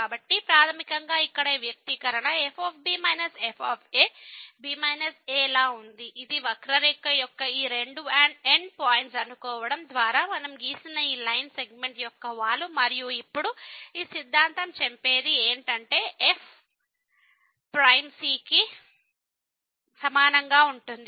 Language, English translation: Telugu, So, basically this expression here minus were minus a is the slope of this line segment which we have drawn by meeting these two end points of the a curve and now, what this theorem says that this will be equal to prime